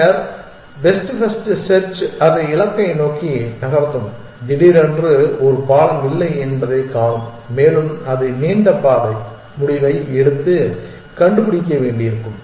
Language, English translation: Tamil, Then, the first best first search will drive it towards the goal and suddenly see that there is a no bridge and it will have to take a and find the longer path decision